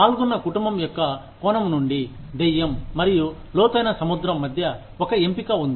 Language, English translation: Telugu, Maybe, from the perspective of the family involved, there is a choice between, the devil and the deep sea